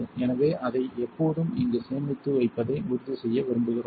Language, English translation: Tamil, So, we want to make sure we always store it here